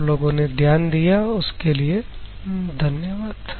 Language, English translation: Hindi, Thank you for your kind attention